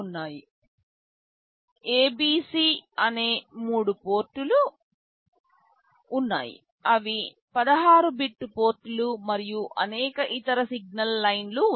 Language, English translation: Telugu, There are three ports A, B, C; they are 16 bit ports and there are many other signal lines